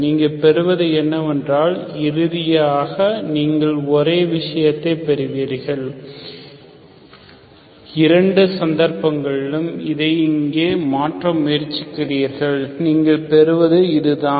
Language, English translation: Tamil, So what you get is, finally you get the same thing, so in both the cases, you try to substitute this here, what you get is this one